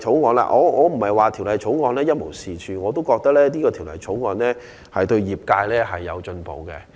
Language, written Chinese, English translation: Cantonese, 我並非認為《條例草案》一無是處，而是我也覺得這項《條例草案》對業界是有進步的。, I am not saying that the Bill is completely useless; I actually agree that the Bill will bring some improvements to the trade